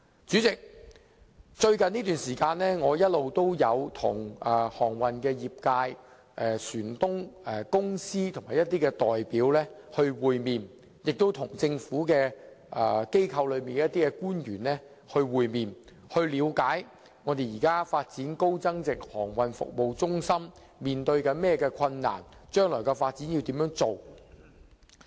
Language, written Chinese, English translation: Cantonese, 主席，我最近一直與航運業界、船東、船公司的一些代表會面，亦與一些政府官員會面，以了解現時發展高增值航運服務中心面對的困難，以及將來的發展。, President recently I met with certain representatives of the maritime services industry ship owners and ship companies and also some government officials in a bid to understand the difficulties in the development of a high value - added maritime services centre and the future development